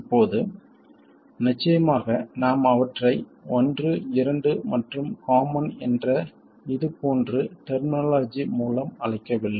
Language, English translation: Tamil, Now it turns out of course we don't call them 1 to 1 common with generic terminology like this